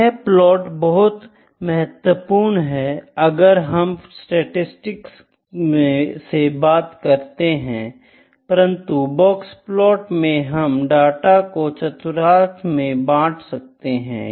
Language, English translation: Hindi, From statistical viewpoint box plot is very important, but in box plot we divide the data into quartiles